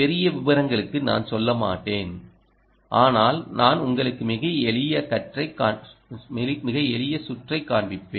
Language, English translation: Tamil, i wont go into great detail, but i will show you a very, very simple circuit